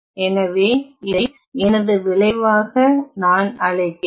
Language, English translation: Tamil, So, then let me call this as my result I